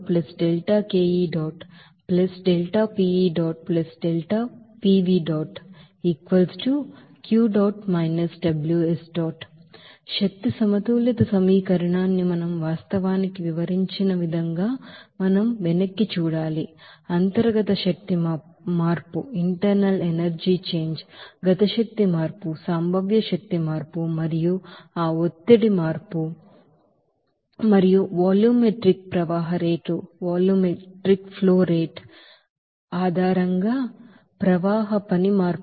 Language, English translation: Telugu, So before going to that, we have to look back that energy balance equation like we have actually described that energy balance equation in the form of you know, internal energy change, kinetic energy change, potential energy change and also flow work change based on that pressure change and volumetric flow rate change